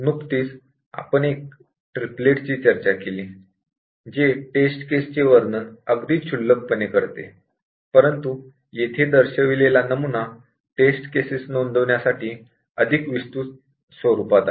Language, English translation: Marathi, So, we just discussed a triplet, which was the very least to describe a test case, but just see here a more elaborate format for recording test case